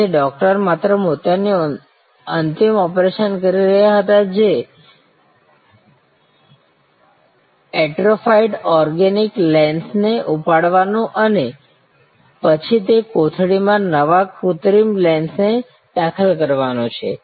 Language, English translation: Gujarati, So, the doctor was only doing the final cataract operation, which is lifting of the atrophied organic lens and then insertion of the new artificial lens in that sack